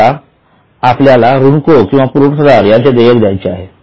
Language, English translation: Marathi, Now, we have to pay those vendors or suppliers or creditors